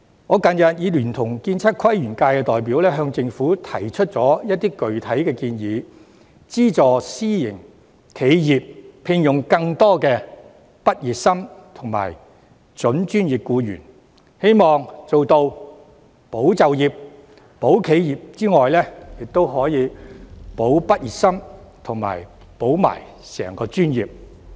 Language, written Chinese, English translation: Cantonese, 我近日已聯同建測規園界的代表向政府提出一些具體建議，包括資助私營企業聘用更多畢業生及準專業僱員，希望在做到"保就業，撐企業"之餘，亦可以做到"保畢業生，保專業"。, Recently I have together with other representatives of the architectural surveying planning and landscape industry put forward some concrete proposals including subsidizing private enterprises to employ more graduates and prospective professional employees with a view to not only achieving the goal of preserving employment supporting enterprises but also safeguarding the graduates safeguarding the profession